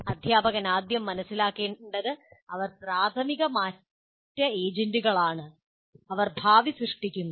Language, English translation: Malayalam, Now let us first thing the teacher should know that they are the major change agents and they create the future